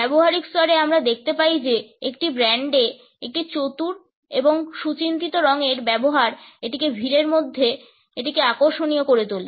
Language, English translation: Bengali, At the practical level we find that a clever and well thought out use of color in a brand makes it a standout in a crowd